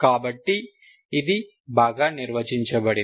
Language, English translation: Telugu, This is well defined